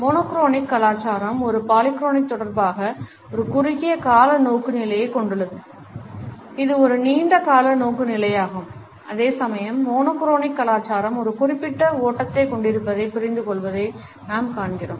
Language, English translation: Tamil, Monochronic culture also has a short term orientation in relation with a polychronic which is a long term orientation whereas, monochronic prefers precision we find that the polychronic cultures understand the time has a particular flow